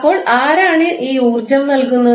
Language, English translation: Malayalam, So, who will provide this energy